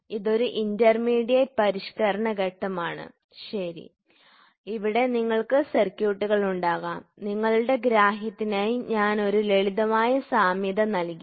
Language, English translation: Malayalam, So, this is an intermediate modifying stage, ok, here you can have circuits; I have just put a simple analogy for your understanding